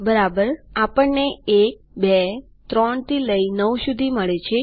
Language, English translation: Gujarati, OK, weve got 1 2 3 all the way up to 9